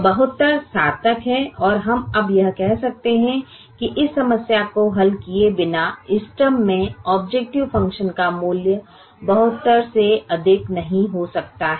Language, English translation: Hindi, so seventy two is meaningful and we can now say that the value of the objective function at the optimum cannot exceed seventy two without solving this problem